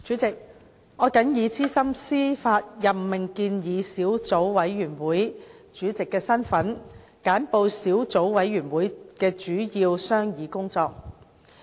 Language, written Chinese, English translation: Cantonese, 主席，我謹以資深司法任命建議小組委員會主席的身份，簡報小組委員會的主要商議工作。, President in my capacity as Chairman of the Subcommittee on Proposed Senior Judicial Appointments I now report briefly on the main deliberations of the Subcommittee